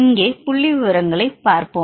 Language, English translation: Tamil, Let us see the statistics here